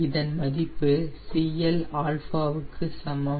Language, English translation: Tamil, this is at cl is equals to zero